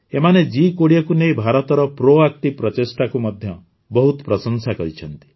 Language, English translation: Odia, They have highly appreciated India's proactive efforts regarding G20